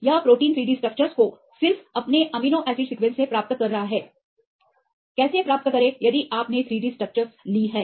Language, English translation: Hindi, It is getting the 3D structures of a protein right from just its amino acid sequence, how to get that if you took the 3 D structures